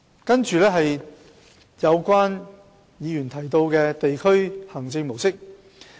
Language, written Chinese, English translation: Cantonese, 接着，我會談及有議員提到的地區行政模式。, And now I will talk about the district administration model mentioned by certain Members